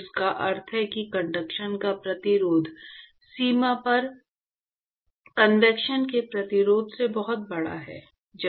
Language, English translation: Hindi, Which means that resistance to conduction is much larger than resistance to convection, right at the boundary